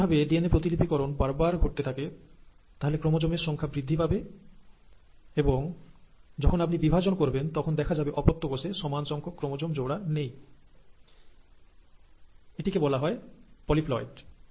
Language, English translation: Bengali, But, if it goes on doing these rounds of DNA replications, number goes on increasing, and then when you divide, what will happen is, the daughter cells will not retain the same number of pairs of chromosomes, and that will lead to ‘polyploidy’